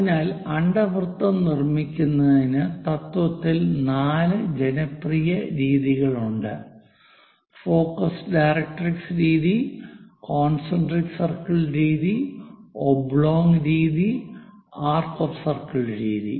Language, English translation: Malayalam, So, in principle to construct ellipse, the popular methods are four focus directrix method, a concentric circle method, oblong method and arc of circle method